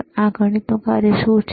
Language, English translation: Gujarati, So, what is this mathematics function